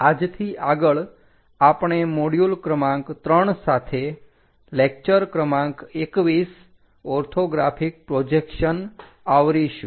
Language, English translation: Gujarati, From today onwards, we will cover module number 3 with lecture number 21, Orthographic Projections